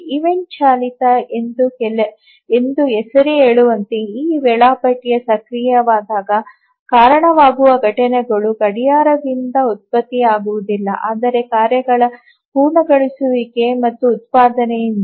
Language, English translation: Kannada, As the name says event driven, the events that are that cause this scheduler to become active are not generated by the clock but by the completion and generation of tasks